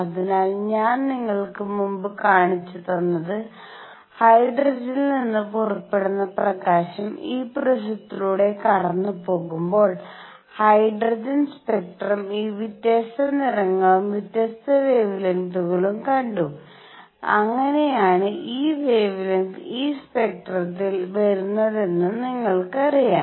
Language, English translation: Malayalam, So, what I showed you earlier, the hydrogen spectrum when the light coming out of hydrogen was passed through this prism one saw these different colors, different wavelengths that is how you know only these wavelengths come in this is spectrum